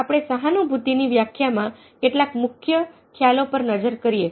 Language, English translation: Gujarati, let's quickly look at some of the key concepts, key concepts which are involved in the definition of empathy